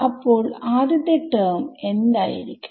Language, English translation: Malayalam, So, first term what will be the first term be